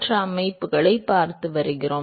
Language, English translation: Tamil, We are looking at other systems too